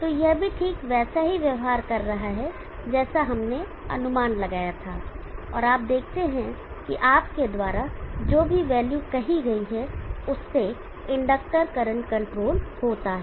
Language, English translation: Hindi, So this is also behaving exactly like what we anticipated and you see that the inductor current is controlled to whatever value you said